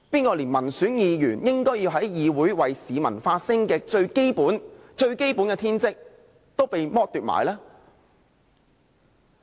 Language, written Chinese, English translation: Cantonese, 誰連民選議員應在議會內為市民發聲的最基本天職也剝奪了？, Who has deprived Members of their right to speak for the public a vocation of Members?